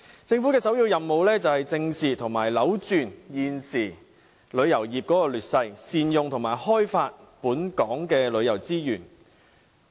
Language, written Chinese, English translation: Cantonese, 政府的首要任務，是正視和扭轉現時旅遊業的劣勢，善用和開發本港的旅遊資源。, The primary task of the Government is to address and reverse the current difficult situation of the tourism industry as well as optimize the use of and explore tourism resources in Hong Kong